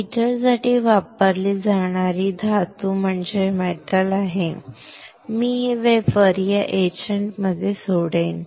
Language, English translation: Marathi, That is the metal which is used for heater; I will leave this wafer into this etchant